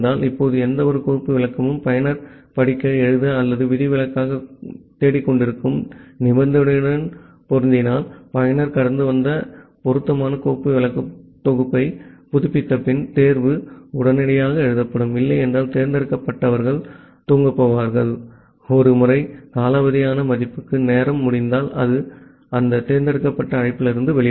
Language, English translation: Tamil, Now if any of the file descriptor matches the condition that the user was looking for read, write or exception, then the select will simply written immediately, after updating the appropriate file descriptor set that the user passed and if not the select will go to sleep for the timeout value once, the timeout occurs it will come out of that select call